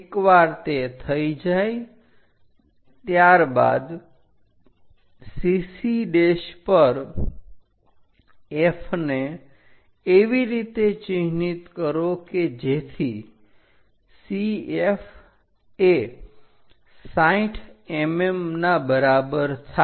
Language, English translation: Gujarati, Once it is done mark F on CC prime such that CF is equal to 60 mm